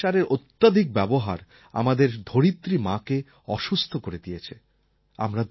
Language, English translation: Bengali, Excessive use of fertilisers has made our Mother Earth unwell